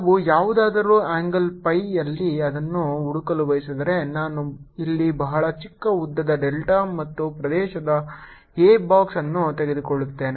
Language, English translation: Kannada, if i want to find it at some angle phi, let me take a box here of very small length, delta, an area a